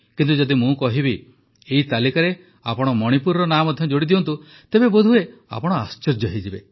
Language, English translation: Odia, But if I ask you to add the name of Manipur too to this list you will probably be filled with surprise